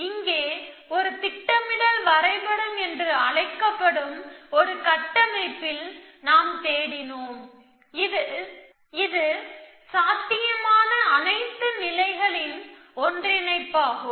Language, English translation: Tamil, Here, we searched in a structure called a planning graph which is some sense are union of all possible states that can happen essentially